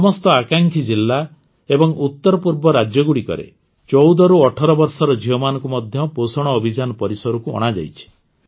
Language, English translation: Odia, In all the Aspirational Districts and the states of the North East, 14 to 18 year old daughters have also been brought under the purview of the POSHAN Abhiyaan